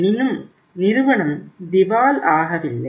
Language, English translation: Tamil, Firm is not bankrupt